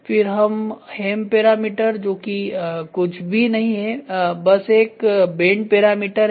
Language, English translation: Hindi, Then here it is hem parameters this is nothing, but a bending parameter